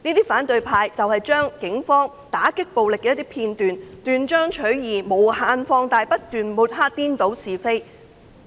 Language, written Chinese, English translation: Cantonese, 反對派對警方打擊暴力的一些片段斷章取義並將之無限放大，他們不斷抹黑、顛倒是非。, The opposition camp presented some video clips which portrayed out of context the Polices combat of violence . They blew up the incident indefinitely smearing incessantly and confounding right with wrong